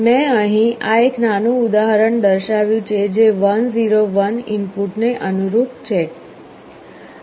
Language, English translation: Gujarati, This is a small example I have shown here, for input that corresponds to 1 0 1